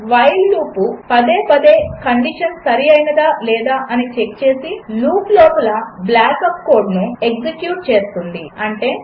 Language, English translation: Telugu, The while loop, repeatedly checks if the condition is true and executes the block of code within the loop, if it is